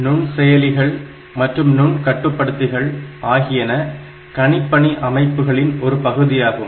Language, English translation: Tamil, Microprocessors and Microcontrollers: so they are part of computing systems